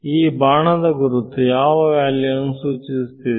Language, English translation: Kannada, So, this arrows refer to values of what